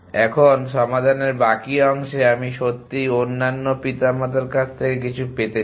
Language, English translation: Bengali, Now, remaining the part solution I really would like to get something from the other parents